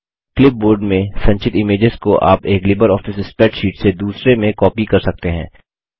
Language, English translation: Hindi, One can copy images stored on the clipboard, from one LibreOffice spreadsheet to another